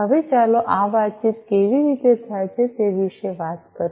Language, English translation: Gujarati, Now, let us talk about how this communication happens